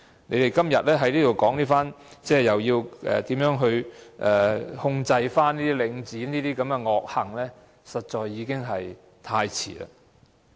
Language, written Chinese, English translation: Cantonese, 你們今天在這裏說要怎樣控制領展的惡行，實在已經太遲。, It is indeed too late for you people to say in this Chamber today what should be done to rein in Link REIT and stop its evil deeds